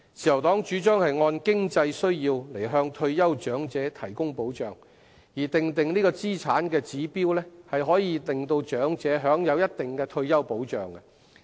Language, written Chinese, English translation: Cantonese, 自由黨主張按經濟需要向退休長者提供保障，而訂定資產指標可讓長者享有一定的退休保障。, The Liberal Party suggests providing protection to the retired elderly according to their financial needs and setting an assets limit so that elderly people can enjoy a certain degree of retirement protection